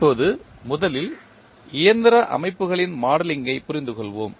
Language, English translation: Tamil, Now, let us first understand the modeling of mechanical systems